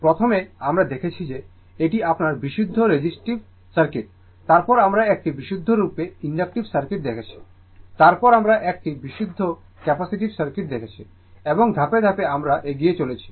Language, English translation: Bengali, First we saw that is your purely resistive circuit, then we saw purely inductive circuit, then we saw purely capacitive circuit, step by step we are moving